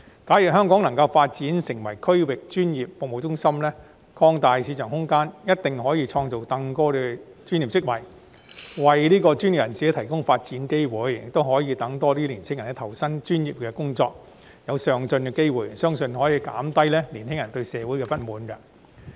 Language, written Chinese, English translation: Cantonese, 假如香港能夠發展成為區域專業服務中心，擴大市場空間，一定可以創造更多專業職位，為專業人士提供發展機會，亦讓更多年青人投身專業工作，得到上進的機會，相信這可減低年青人對社會的不滿。, If we can develop Hong Kong into a regional professional services hub and expand the market space a greater number of professional posts will be created to provide professional personnel with more development opportunities . This will also enable more young people to join the professional sectors and offer them an opportunity for upward mobility which I think can help to reduce their grievances